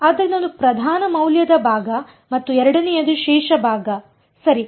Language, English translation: Kannada, So, one is the principal value part and the second is the residue part right